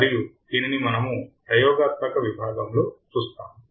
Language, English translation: Telugu, And this we will see in the experimental section